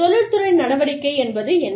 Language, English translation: Tamil, What is the industrial action